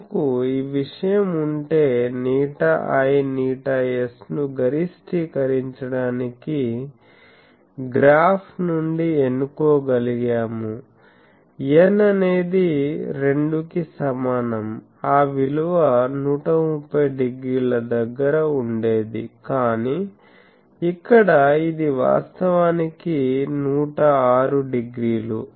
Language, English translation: Telugu, If we had our thing then we could have chosen from the graph to maximise eta i eta s, we can find for n is equal to 2 that value would have been 130 degree, but here it is actually 106 degree